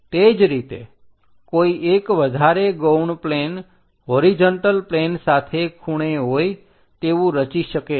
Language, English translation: Gujarati, Similarly, one can really construct one more auxiliary plane having an angle with respect to horizontal plane